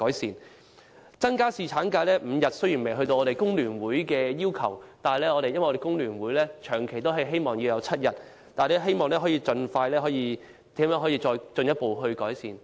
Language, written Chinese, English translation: Cantonese, 至於增加侍產假至5天的建議，雖然未能達到工聯會把侍產假增至7天的要求，但我們仍然希望盡快能夠得到進一步改善。, As regards the proposal for increasing the number of days of paternity leave to five although it falls short of the request made by the Hong Kong Federation of Trade Unions FTU to increase the duration of paternity leave to seven days we still hope that further improvement can be made expeditiously